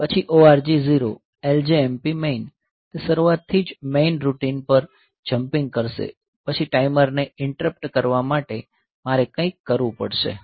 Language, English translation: Gujarati, Then ORG; 0 LJMP main; so it will be jumping to the main routine then from the beginning; then for the timer interrupt, I have to do something